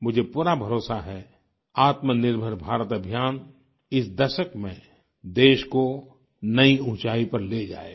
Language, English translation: Hindi, I firmly believe that the Atmanirbhar Bharat campaign will take the country to greater heights in this decade